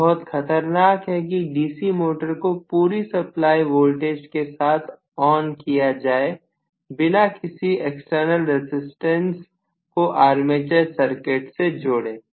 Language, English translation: Hindi, So, it is really dangerous to start a DC motor with full supply on without including any external resistance in the armature circuit